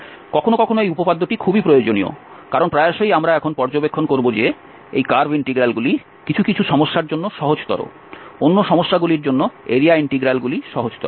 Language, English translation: Bengali, Sometimes this theorem is very useful, because very often we will observe now that this curve integral is easier for some problems whereas, the area integral is easier for the other problems